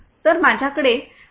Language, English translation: Marathi, So, I have with me Mr